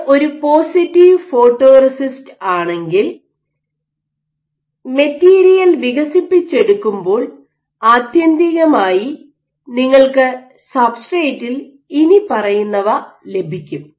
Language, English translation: Malayalam, So, if this was a positive photoresist, if you develop the material then eventually you will have the following thing on the substrate